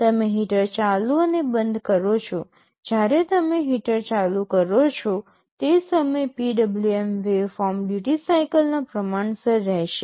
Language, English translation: Gujarati, You turn ON and OFF the heater, the time you are turning ON the heater will be proportional to the duty cycle of the PWM waveform